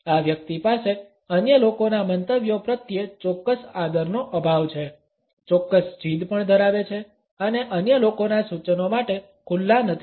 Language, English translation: Gujarati, This person has a certain lack of respect for the opinions of other people, also has certain stubbornness and would not be open to the suggestions of other people